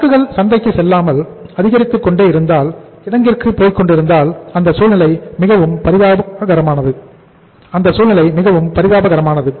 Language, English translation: Tamil, And when the inventory is mounting rather than going to the market if it is going to the warehouse it is a very very pathetic situation